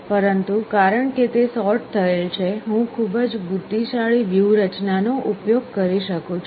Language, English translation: Gujarati, But because it is sorted I can adapt a very intelligent strategy